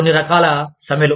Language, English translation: Telugu, Some types of strikes